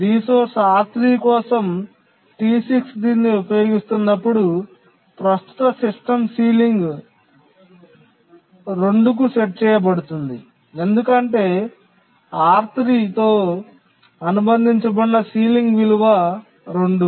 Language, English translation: Telugu, When T6 is using the resource R3, then the current system sealing will be set to 2 because the sealing value associated with R3 is 2